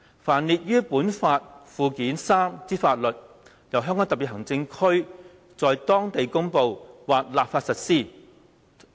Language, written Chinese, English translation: Cantonese, 凡列於本法附件三之法律，由香港特別行政區在當地公布或立法實施。, The laws listed therein shall be applied locally by way of promulgation or legislation by the Region